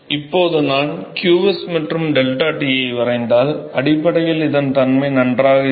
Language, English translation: Tamil, So, now, if I draw the to qs versus deltaT basically I have this behavior fine